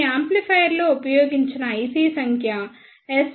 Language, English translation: Telugu, The number of the IC used in this amplifier is SPB2026Z